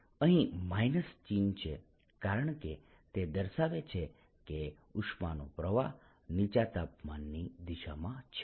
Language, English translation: Gujarati, i am going to put a minus sign here because that tells you that flows in the direction of lowering temperature